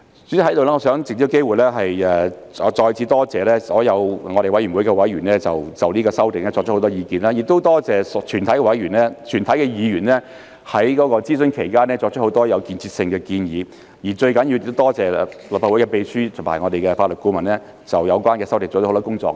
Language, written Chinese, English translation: Cantonese, 主席，我想藉此機會，再次多謝我們委員會的所有委員就這次修訂提出很多意見，亦多謝全體議員在諮詢期間提出很多有建設性的建議，而最重要的是多謝立法會的秘書和我們的法律顧問就有關修訂做了很多工作。, President I wish to take this opportunity to thank all members of our Committee again for raising numerous views on the amendments this time around . I am also grateful to all Members for putting forward many constructive proposals during the consultation period . Most importantly my gratitude goes to the Committee Clerk and our Legal Advisers who have done a lot of work on the amendments concerned